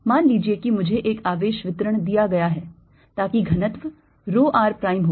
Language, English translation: Hindi, suppose i am given a charge distribution so that the density is rho r prime